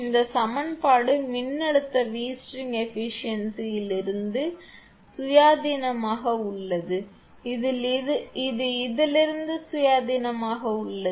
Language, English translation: Tamil, This equation is independent of the voltage V string efficiency it is it is independent of this one